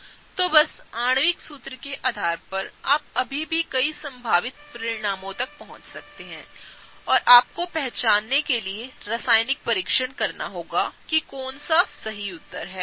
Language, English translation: Hindi, So, just based on the molecular formula you can still arrive to a number of possible outcomes and you will have to do chemical tests to identify which one is the right answer, okay